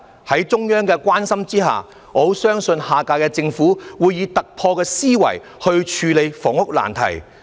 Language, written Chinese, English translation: Cantonese, 在中央的關心下，我相信下屆政府會以突破思維來處理房屋難題。, With the care of the Central Government I believe the next government will adopt an out - of - the - box thinking to deal with the housing problems